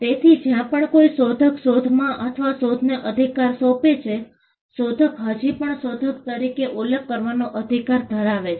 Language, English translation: Gujarati, So, wherever an inventor assigns the right in an invention, wherever an inventor assigns the right in an invention, the inventor will still have the right to be mentioned as the inventor